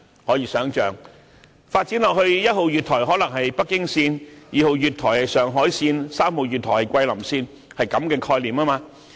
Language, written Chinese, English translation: Cantonese, 可以想象，發展下去一號月台可能是北京線，二號月台是上海線，三號月台是桂林線，是這樣的概念。, We can imagine that further development could see Platform No . 1 being designated for Beijing Line Platform No . 2 for Shanghai Line and Platform No